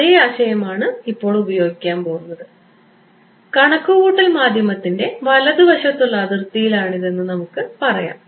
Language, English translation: Malayalam, The same philosophy is going to be used now, let us say at a right hand side boundary of computational medium